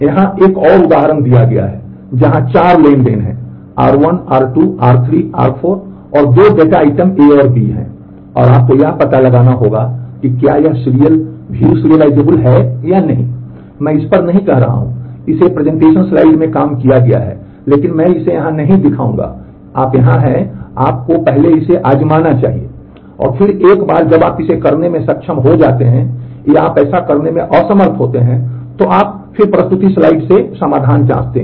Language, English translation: Hindi, There is another example given here, where there is there are 4 transactions R one R 2 R 3 and R 4 and there are 2 data items A and B and, you have to find out establish whether this is view serializable or not, I am not working out this one this is worked out in the presentation slide, but I will not show it here you are you should first try it out and, then once you have been able to do it or you are unable to do that, then you check the solution from the presentation slide